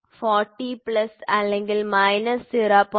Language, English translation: Malayalam, 3, 40 plus or minus 0